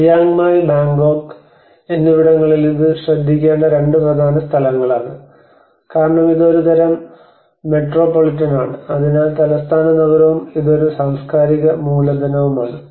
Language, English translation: Malayalam, And in Chiang Mai and Bangkok these are the two important places one has to look at it because this is more of a kind of metropolitan, so capital city and this is more of a cultural capital